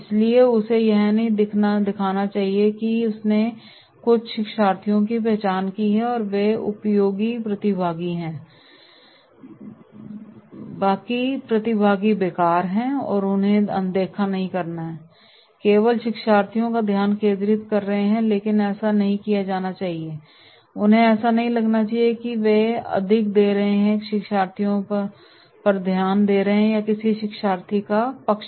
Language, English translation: Hindi, So he should not appear that yes he has identified some learners and they are the useful participants, rest of the participants are useless and therefore ignoring them and focusing on learners only but this should not be done, he should not appear that he is giving more attention or favouring to the learners